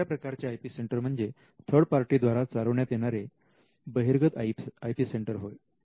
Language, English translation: Marathi, You can have an external IP centre the IP centre is run by a third party